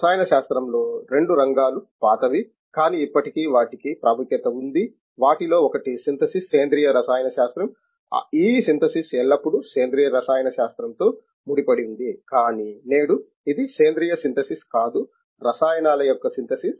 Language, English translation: Telugu, There are two areas of chemistry which are old, but still it has a relevance to even today, one of them is synthesis organic chemistry, this synthesis has always associated with organic chemistry, but today it is no longer synthesis in organic chemistry, synthesis of chemicals